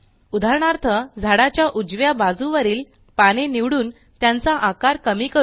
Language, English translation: Marathi, For example let us select the leaves on the right side of the tree and reduce the size